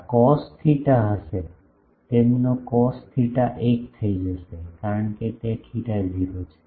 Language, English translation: Gujarati, This cos theta that will be, their cos theta becomes 1, because theta is 0